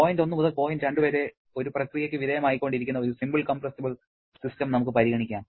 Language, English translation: Malayalam, Let us consider one simple compressible system which is undergoing a process from point 1 to point 2